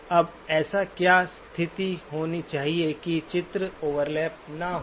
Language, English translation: Hindi, Now what should be the condition that the images do not overlap